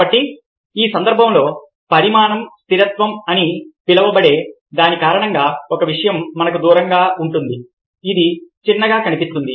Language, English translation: Telugu, so in this case it is because of something which is known as size constancy: the further away a thing is away from us, the smaller it looks